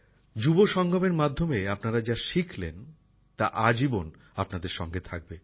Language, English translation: Bengali, May what you have learntat the Yuva Sangam stay with you for the rest of your life